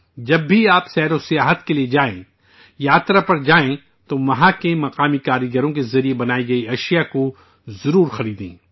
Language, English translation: Urdu, Whenever you travel for tourism; go on a pilgrimage, do buy products made by the local artisans there